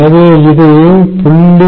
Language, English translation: Tamil, so that is one